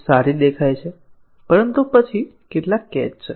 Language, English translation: Gujarati, Appears very good, but then, there are some catches